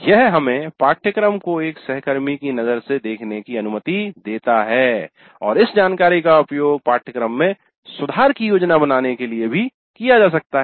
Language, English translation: Hindi, This allows us to see the course as seen through the IFA colleague and this information can also be used to plan the improvements for the course